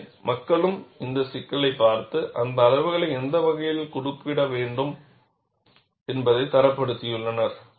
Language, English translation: Tamil, So, people also looked at this issue and standardized which way those quantities have to be referred